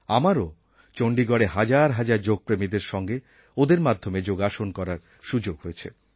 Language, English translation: Bengali, I also got an opportunity to perform Yoga in Chandigarh amidst thousands of Yoga lovers